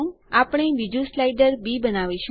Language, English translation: Gujarati, We make another slider b